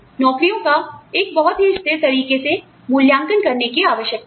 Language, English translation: Hindi, Jobs should be evaluated in a very consistent manner